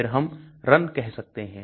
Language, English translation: Hindi, Then we can say run